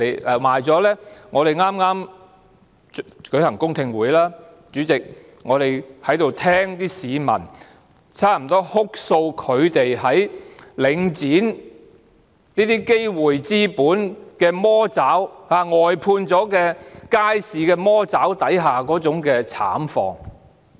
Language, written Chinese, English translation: Cantonese, 主席，在剛舉行的公聽會上，我們聽到市民哭訴他們在領展的資本魔爪、外判街市魔爪下的慘況。, President in the public hearing that has just been held we heard people tearfully recount their plight of being ensnared in the capitalist claw of Link REIT and outsourced markets